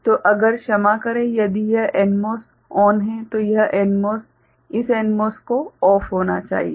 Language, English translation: Hindi, So, if sorry if this NMOS is ON then this NMOS this NMOS needs to be OFF ok